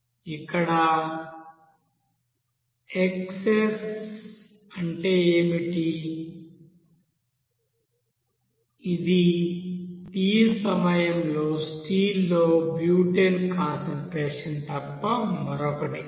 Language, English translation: Telugu, What is xs here; xs is nothing but that you know concentration of that butane in the steel at a time t